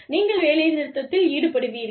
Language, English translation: Tamil, You will go on strike